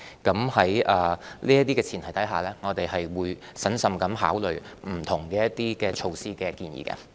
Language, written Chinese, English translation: Cantonese, 在這些前提下，我們會審慎考慮對不同措施的建議。, Under this premise we will be prudent in considering various proposed measures